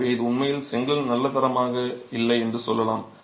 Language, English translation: Tamil, So, this is actually telling you whether the brick is of good quality or not